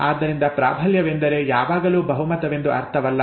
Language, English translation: Kannada, So dominancy dominance does not mean a majority, not always